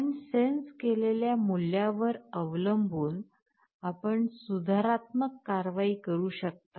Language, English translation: Marathi, Now depending on the value you have sensed, you can take a corrective action